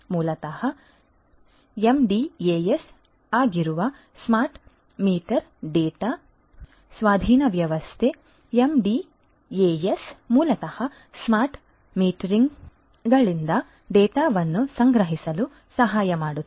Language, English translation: Kannada, Smart meter data acquisition system which is basically the MDAS, the MDAS is basically helps in gathering of the data from the smart meters